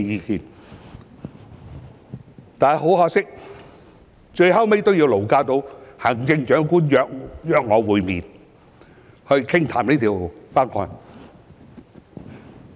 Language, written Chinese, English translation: Cantonese, 然而，很可惜，最終也要勞駕行政長官約我會面傾談《條例草案》。, Yet regrettably in the end the Chief Executive has to take the trouble to arrange a meeting with me to discuss the Bill